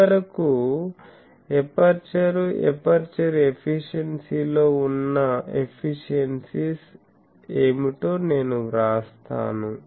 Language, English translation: Telugu, So finally, I write that what are the efficiencies that is involved in the aperture, aperture efficiency